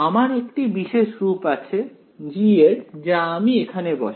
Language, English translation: Bengali, I have a special form for G I will just substitute that right